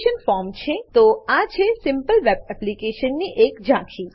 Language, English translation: Gujarati, So, this is the overview of this simple web application